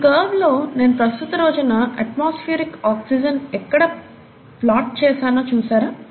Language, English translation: Telugu, So if you see this curve where I have plotted atmospheric oxygen at the present day, right